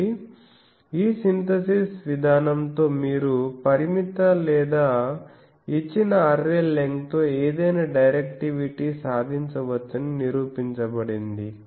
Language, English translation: Telugu, So, it has been proved that you can have with this synthesis procedure you can achieve any directivity with the a limited or given array length, but those are not practical